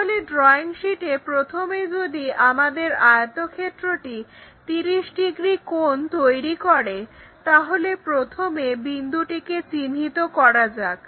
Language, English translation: Bengali, So, here on the drawing sheet first of all if our rectangle supposed to make 30 degrees, first locate the point this one, smaller one making 30 degrees somewhere there